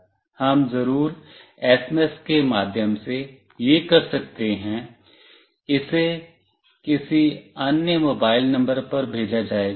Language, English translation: Hindi, Wee can do this of course through SMS, it will be sent to some other mobile number